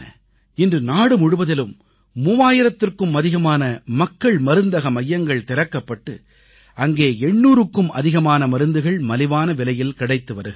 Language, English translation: Tamil, Presently, more than three thousand Jan Aushadhi Kendras have been opened across the country and more than eight hundred medicines are being made available there at an affordable price